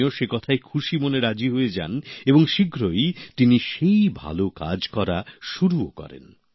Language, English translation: Bengali, He happily agreed to the suggestion and immediately started this good and noble effort